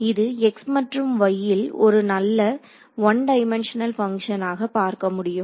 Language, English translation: Tamil, So, we can see that this is a nice one dimensional function in x and y